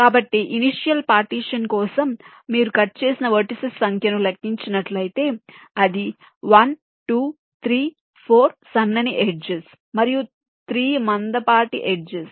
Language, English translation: Telugu, so for initial partition, if you just count the number of vertices which are cut, it is one, two, three, four thin edges and three thick edges